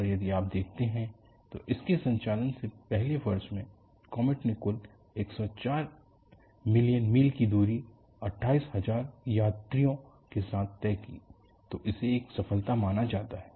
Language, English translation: Hindi, And if you look at, in the first year of its operation, comet carried 28000 passengers with a total of 104 million miles